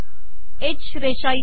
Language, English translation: Marathi, H line here